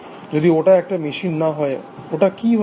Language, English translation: Bengali, So, if it is not a machine, what can it be